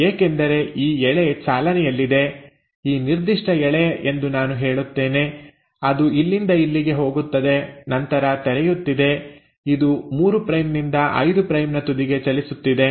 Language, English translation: Kannada, because this strand is running from, I would say this particular strand, which is going from here to here and is then opening, is running at the 3 prime to 5 prime end